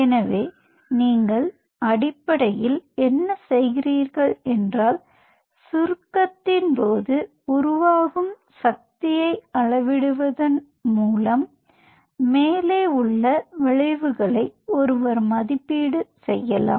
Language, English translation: Tamil, so what you are essentially doing is is by measuring the force generated during contraction, one can, one can evaluate the above effects